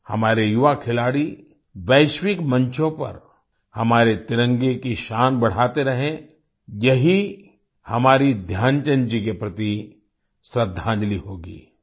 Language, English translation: Hindi, May our young sportspersons continue to raise the glory of our tricolor on global forums, this will be our tribute to Dhyan Chand ji